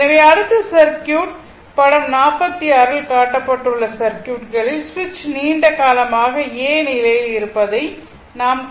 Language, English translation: Tamil, So, next is, next is circuit, I will show you the switch in the circuit shown in figure 46 has been in position A for a long time